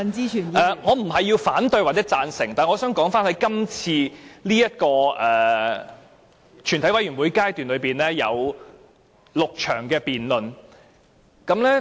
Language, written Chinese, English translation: Cantonese, 我發言並非要表示反對或贊成，但我想說的是這次全體委員會審議階段有6場辯論。, I speak neither for nor against it . But what I wish to say is that there are six debate sessions in this Committee stage